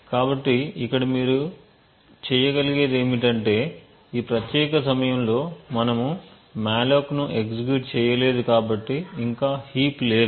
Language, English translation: Telugu, So what is missing here you would notice is that at this particular time since we have not execute any malloc as yet there is no heap that is present